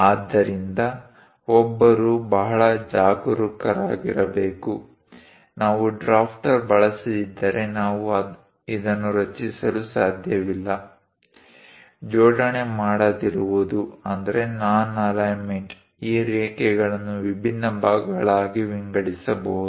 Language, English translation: Kannada, So, one has to be very careful; unless we use drafter, we cannot really construct this; non alignment may divide these line into different parts